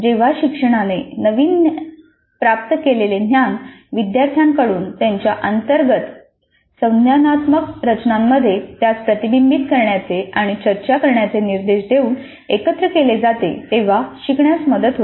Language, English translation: Marathi, Learning is promoted when learners integrate their newly acquired knowledge into their internal cognitive structures by being directed to reflect and discuss it